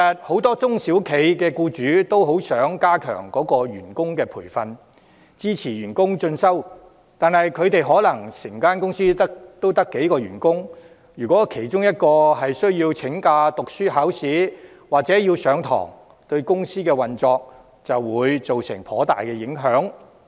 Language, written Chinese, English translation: Cantonese, 很多中小企僱主都想加強員工培訓，支持員工進修，但他們的公司可能只有幾名員工，如果其中一人要請假讀書、考試或上課，對公司運作可能有頗大影響。, Many SME employers wish to enhance staff training and support further studies of their employees . However given that some companies may only have a few employees if one of them takes leave for studies examination or class the operation of the company will be greatly affected